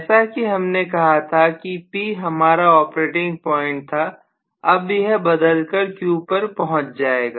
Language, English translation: Hindi, So originally the operating point was P, now it will shift over to